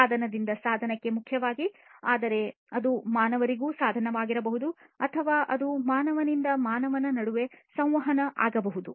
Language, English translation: Kannada, Interaction primarily between devices device to device, but it could also be device to humans or it could be even human to human right